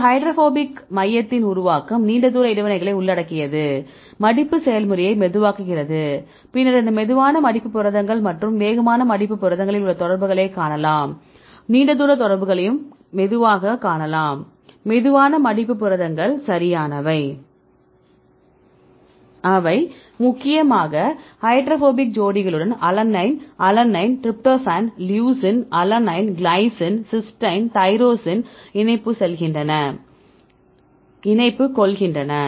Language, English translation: Tamil, Then the formation of this hydrophobic core involves long range interactions right this is how which slows down the folding process then we see the contacts in these slow folding proteins and fast folding proteins you can see the long range contacts and slow; slow folding proteins right, they are mainly influenced with the hydrophobic pairs see alanine, alanine, tryptophan, leucine, alanine, glycine, right, cysteine, tyrosine, right you can see the contacts between the hydrophobic residues are more in the case of the slow folding proteins compared with fast folding proteins